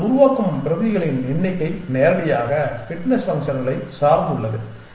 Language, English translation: Tamil, And the number of copies you make are dependent directly upon the fitness functions